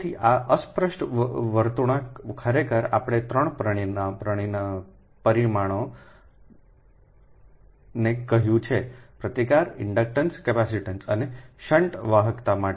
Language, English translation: Gujarati, actually we have told three parameters for resistance, ah, inductance capacitance and shunt conductance